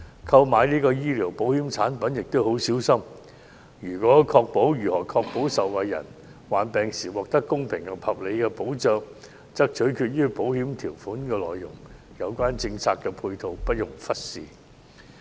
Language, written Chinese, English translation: Cantonese, 購買醫療保險產品亦要很小心，如何確保受保人患病時獲得公平及合理的保障取決於保險條款的內容，故有關政策配套不容忽視。, Extra caution must be exercised in taking out medical insurance . How can it be ensured that the insured person will receive fair and reasonable protection when he falls sick? . It is determined by the terms of the insurance policy thus the relevant policy support must not be neglected